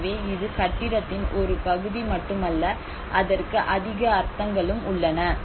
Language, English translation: Tamil, So it is not just a part of the building there is more meanings to it